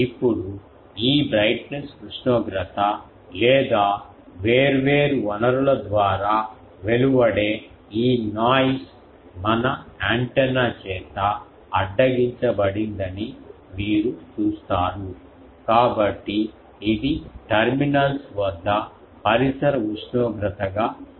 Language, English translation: Telugu, Now, you see the brightness this temperature or this noise emitted by the different sources is intercepted by our antenna, and so it appears at the terminals as a ambient temperature